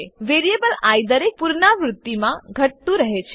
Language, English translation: Gujarati, The variable i gets decremented in every iteration